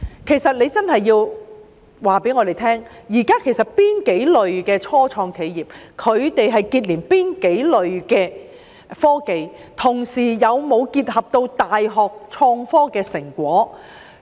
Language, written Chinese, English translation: Cantonese, 其實，局方真的要告訴我們，現在有哪幾類的初創企業是結連哪幾類的科技，同時有否結合大學創科的成果。, In fact the Bureau really has to tell us what categories of start - ups are linked to what types of technology and also whether they are combined with the results of university research and development on innovation and technology